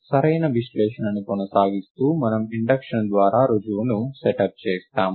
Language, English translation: Telugu, Continuing the correctness analysis, we set up the proof by induction